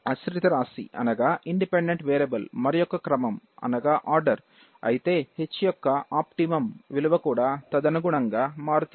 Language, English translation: Telugu, If the independent variable is of a different order, the optimal value of H changes accordingly